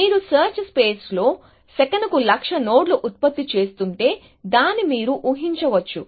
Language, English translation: Telugu, You can imagine if you are generating something like hundred thousand nodes a second in the search space